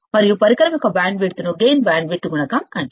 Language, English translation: Telugu, And the bandwidth of the device is called the gain bandwidth product